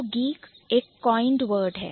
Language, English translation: Hindi, So, geek is a coined word